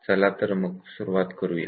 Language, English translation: Marathi, So, now let us get started